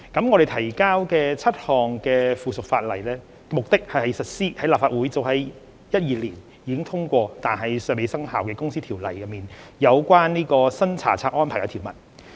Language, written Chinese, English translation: Cantonese, 我們提交的7項附屬法例目的是實施立法會早於2012年已通過但尚未生效的《公司條例》中有關新查冊安排的條文。, These seven items of subsidiary legislation seeks to give effect to the provisions of the new inspection regime under the Companies Ordinance passed by the Legislative Council in 2012 but have not yet commenced